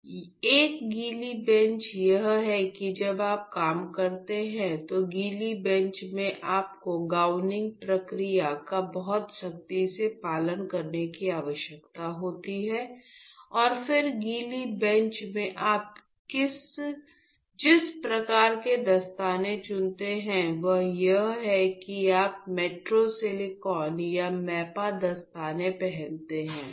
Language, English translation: Hindi, So, wet bench is that you need to follow gowning procedure very stringently while you work, in wet bench and then the type of gloves what you choose in wet bench is you wear the thick silicon or the mapa gloves